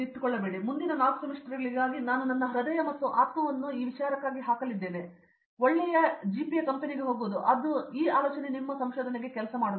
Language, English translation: Kannada, So for the next 4 semesters I am going to put my heart and soul, get good GPA get into a company, that doesn’t work for research